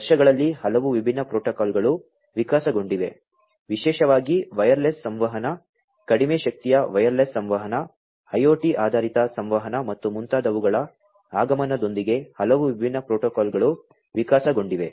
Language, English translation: Kannada, Many different protocols have evolved over the years many different protocols have evolved over the years particularly with the advent of wireless communication, low power wireless communication, IoT based communication and so on